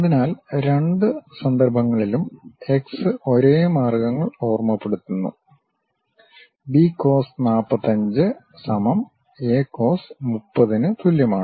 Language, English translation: Malayalam, So, in both cases x remind same means, B cos 45 is equal to A cos 30